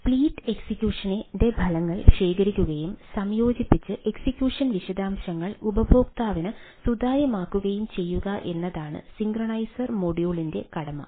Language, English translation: Malayalam, synchronizing module synchronizer module is to collect results of split execution and combine and make the execution details transparent to the user